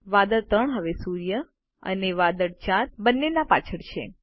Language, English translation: Gujarati, Cloud 3 is now behind both the sun and cloud 4